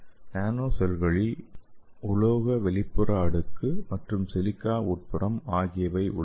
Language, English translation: Tamil, So this nanoshells it is having metallic outer layer, okay